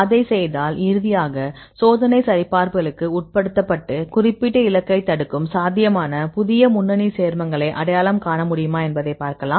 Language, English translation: Tamil, If you do that then finally, if subjected to experimental validations and see whether you could identify any new lead compounds which could be potentially inhibitor for this particular target